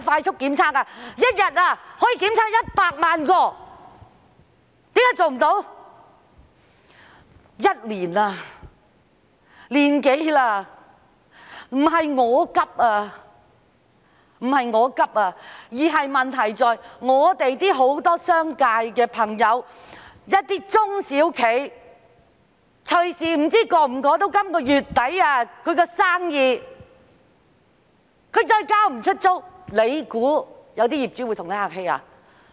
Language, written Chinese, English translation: Cantonese, 疫情已經持續1年多了，不是我焦急，問題在於很多商界朋友和一些中小企隨時無法捱過本月底，他們要是無法交租，當局以為業主會跟他們客氣嗎？, I am not anxious . The problem is that many friends in the business sector and some SMEs may not be able to survive through this month . If they can no longer pay the rent will the authorities think that the landlords will be nice to them?